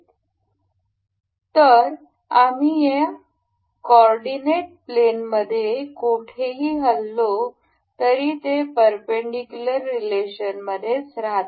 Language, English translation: Marathi, So, anywhere we move in this coordinate plane they will remain perpendicular in relation